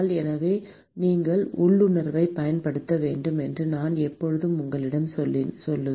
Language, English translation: Tamil, So, note that I always told you that you should use your intuition